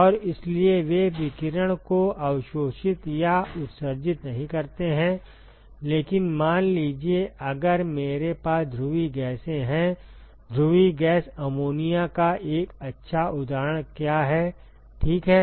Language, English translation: Hindi, And so they do not absorb or emit radiation, but supposing, if I have polar gases; what is a good example of a polar gas ammonia ok